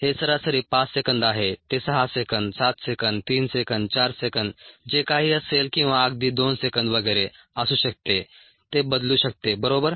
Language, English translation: Marathi, it could be six seconds, seven seconds, three seconds, four seconds, whatever it is, or even two seconds and so on